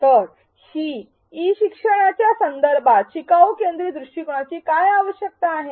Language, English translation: Marathi, So, what are the requirements of a learner centric approach in the context of e learning